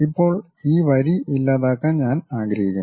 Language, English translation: Malayalam, Now, I would like to delete this line